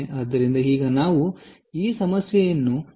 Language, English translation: Kannada, so now, how do we solve this problem